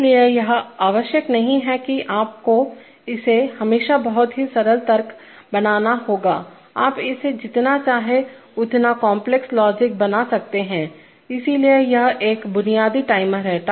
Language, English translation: Hindi, So it is it is not necessary that you have to always make it a very simple logic, you can make it as complex logic as you want, so having done that, so this is a basic timer